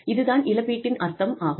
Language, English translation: Tamil, That is what, compensation means